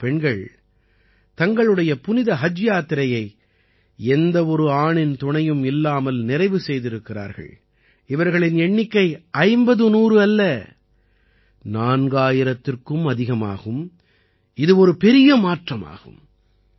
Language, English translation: Tamil, These are the women, who have performed Hajj without any male companion or mehram, and the number is not fifty or hundred, but more than four thousand this is a huge transformation